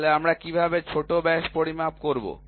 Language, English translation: Bengali, Then how do we measure the minor diameter